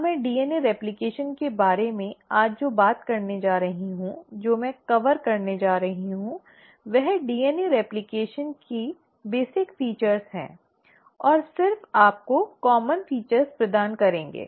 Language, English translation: Hindi, Now what I am going to talk today about DNA replication is going to hold true, what I am going to cover is just the basic features of DNA replication and just give you the common features